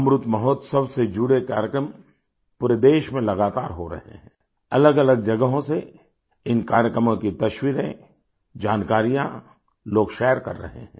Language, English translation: Hindi, Programmes in connection with Amrit Mahotsav are being held throughout the country consistently; people are sharing information and pictures of these programmes from a multitude of places